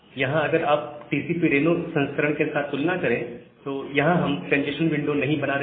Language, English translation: Hindi, So, here if you compare with the TCP Reno variant, we are not making the congestion window